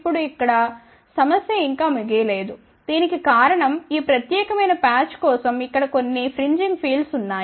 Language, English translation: Telugu, Now, here the problem is not over yet the reason for that is that there will be some fringing fields for this particular patch over here